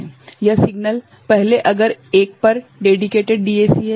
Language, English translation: Hindi, This signal, earlier if it is one dedicated DAC